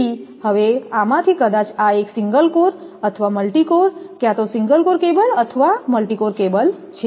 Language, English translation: Gujarati, So, now, this one either of these maybe single core or multi core, either single core cable or multi core cable